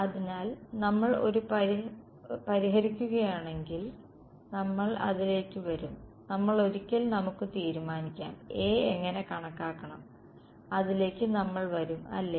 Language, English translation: Malayalam, So, if we solve for a well we will come to that we will come once let us settle how to calculate A ok